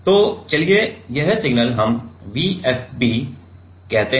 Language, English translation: Hindi, So, let us say this signal what we call V FB